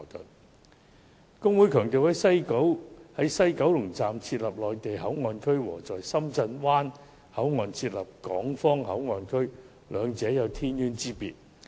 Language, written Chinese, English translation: Cantonese, 大律師公會強調，在西九龍站設立內地口岸區，與在深圳灣口岸設立港方口岸區，兩者有天淵之別。, There is stressed the HKBA a fundamental distinction between establishing a Mainland Port Area within the HKSAR and establishing a Hong Kong Port Area at the Shenzhen Bay Port